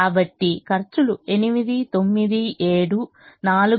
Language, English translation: Telugu, so the costs are eight, nine, seven, four, three, five, eight, five, six